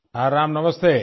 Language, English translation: Hindi, Yes Ram, Namaste